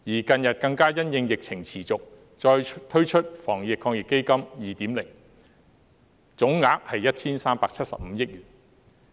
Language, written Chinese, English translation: Cantonese, 近日更加因應疫情持續，再推出第二輪防疫抗疫基金，總額為 1,375 億元。, Recently in response to the persistent epidemic the second round of the AEF totalling 137.5 billion was launched